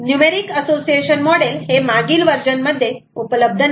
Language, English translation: Marathi, the numeric association model are all that were not available in previous version